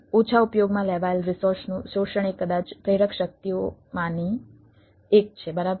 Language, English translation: Gujarati, exploiting underutilized resources maybe one of the motivating forces